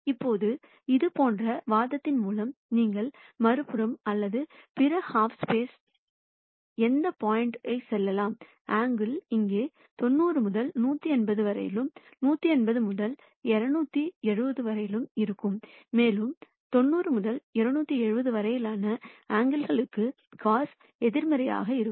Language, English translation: Tamil, Now by similar argument you can say for any point on the other side or the other half space, the angles are going to be between 90 to 180 here and 180 to 270 and as we know cos theta for angles between 90 to 270 is negative